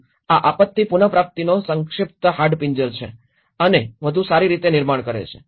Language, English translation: Gujarati, So, this is the brief skeleton of the disaster recovery and build back better